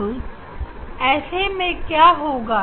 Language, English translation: Hindi, now, in this case what happens